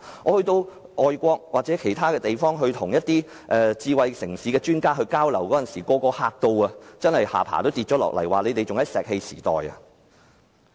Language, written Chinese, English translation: Cantonese, 我到外國與一些智慧城市的專家交流時，他們驚訝得下巴也掉下來，指我們仍停留在石器時代。, When I had exchanges overseas with experts on smart city they were so surprised that their jaws dropped saying that we were still in the stone age